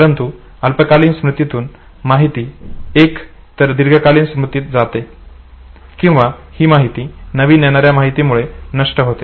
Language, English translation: Marathi, But in case of short term storage either the information moves on to long term storage or the information is lost and replaced by the incoming information